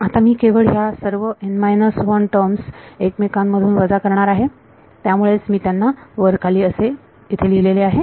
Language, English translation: Marathi, Now, I am just going to subtract all of these n minus 1 terms from each other right that is why I wrote them one above the other